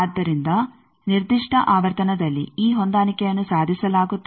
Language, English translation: Kannada, So, it is at a particular frequency this match is achieved